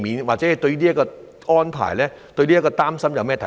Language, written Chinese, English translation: Cantonese, 或者對於這個安排或擔心，他有甚麼看法？, Or what is his take on this arrangement or worry?